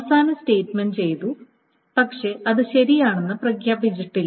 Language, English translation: Malayalam, So the the last statement has been done, but it still not declared to be correct